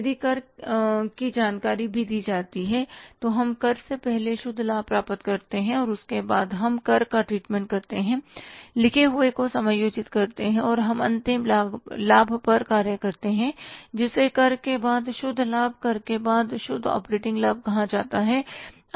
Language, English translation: Hindi, If the tax information is also given, then we work out the net profit before tax and after that we treat the tax, adjust the tax and we work out the final profit which is called as the net profit after tax